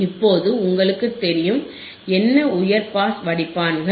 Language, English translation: Tamil, And now you know, what are high pass filters